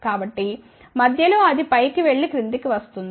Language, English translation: Telugu, So, in between it will go up and come down